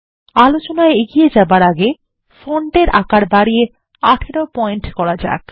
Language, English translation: Bengali, Before we go ahead, let us increase the font size to 18 point